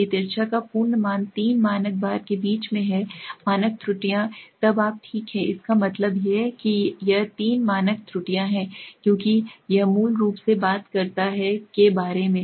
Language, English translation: Hindi, If the absolute value of the skewness lies between three standard times the standard errors then you are fine that means why it is three Standard errors basically it talks about